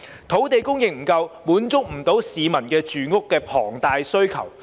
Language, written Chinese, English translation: Cantonese, 土地供應不足，無法滿足市民龐大的住屋需求。, Due to insufficient land supply the huge housing demand of the public cannot be met